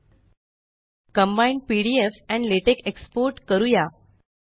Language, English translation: Marathi, Let us export using combined pdf and latex files